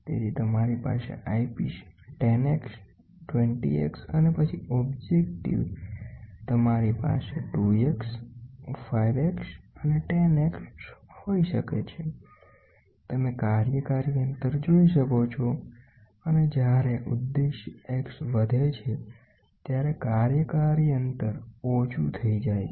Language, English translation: Gujarati, So, you can have at the eyepiece 10 x, 20 x and then objective you can have 2 x, 5 x, and 10 x, you can see the working distance, as and when the objective X increases, the working distance go small